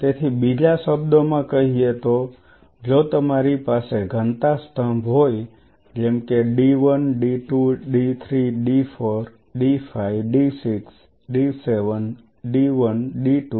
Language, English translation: Gujarati, So, in other words if I have a density column like this of say d 1 d 2 d 3 d 4 d 5 d 6 d 7, d 1 d 2